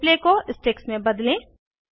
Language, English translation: Hindi, Change the display to Sticks